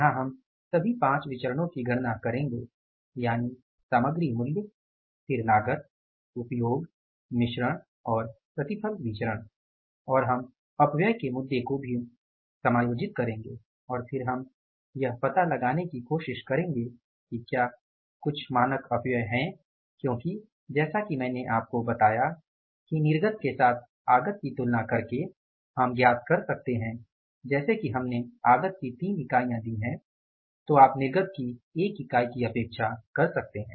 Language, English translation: Hindi, Here we will calculate all the five variances that is material price then cost usage, mix and the yield variance and we will adjust the issue of the wastages also and then we will try to find out that if there is some standard wastage because I as I told you that comparing the input with the output we can find out that say for example we give the three units of input we can expect the one unit of the output